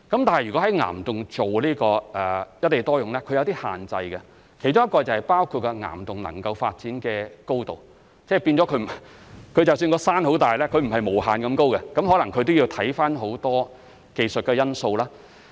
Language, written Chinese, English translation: Cantonese, 但是，如果在岩洞做"一地多用"，是有些限制的，其中包括岩洞能夠發展的高度，即使山很大也不可能是無限高，可能要看看很多技術的因素。, However there are some restrictions on applying single site multiple uses to rock caverns including the clearance for development in caverns . However big the mountain is it cannot be infinitely high and many technical factors might have to be considered